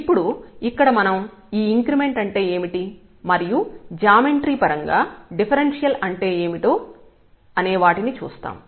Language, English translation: Telugu, Now, we will see here what do we mean by this increment and this differential in terms of the geometry